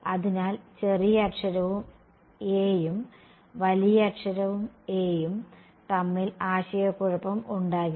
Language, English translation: Malayalam, So, that the there is no confusion between lower case a and upper case a ok